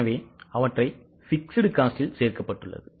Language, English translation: Tamil, So, they are, they have to be included in the fixed costs